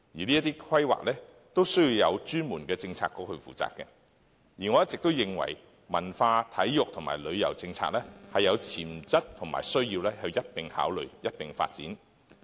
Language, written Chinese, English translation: Cantonese, 這些規劃需要有專門的政策局負責，而我一直認為，文化、體育和旅遊政策是有潛質及需要一併考慮、一併發展的。, There should be a special Policy Bureau to undertake the planning of these matters . I always opine that our culture sports and tourism have great potentials and they need to be considered and developed as a whole